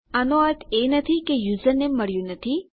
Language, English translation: Gujarati, This doesnt mean that my username hasnt been found